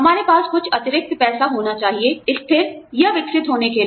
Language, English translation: Hindi, We have to have, some surplus money in hand, in order to, stabilize or grow